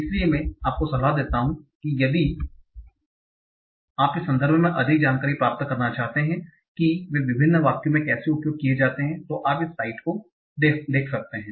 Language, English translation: Hindi, So that I will recommend that if you want to get more information in the sense of how they are used in various sentences, you can look at this site